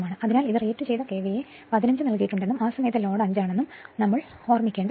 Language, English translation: Malayalam, So, this we will keep in mind your rated KVA 15 is given and at that time load is 5